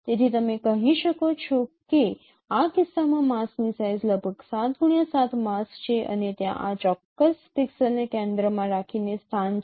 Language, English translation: Gujarati, So you can say that the the size of the mask in this case is about I think 7 cross 7 mask and there are location centering this particular pixel